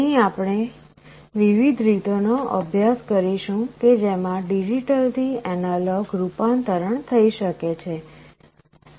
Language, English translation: Gujarati, Here we shall study the different ways in which digital to analog conversion can be carried out